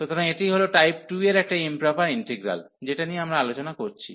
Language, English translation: Bengali, So, this is the, a improper integral of improper integral of type of type 2, which we have discussed